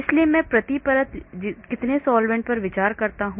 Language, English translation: Hindi, so how many solvents do I consider per layer